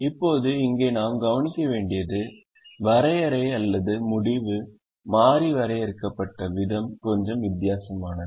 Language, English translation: Tamil, now here we observe that the definition or the way the decision variable is defined is a little different